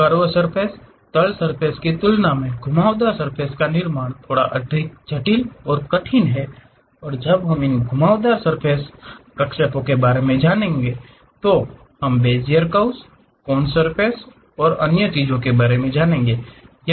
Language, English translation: Hindi, Curved surface construction is bit more complicated and difficult compared to your plane surface and when we are going to learn about these curved surface interpolations additional concepts like Bezier curves, Coons surface and other things comes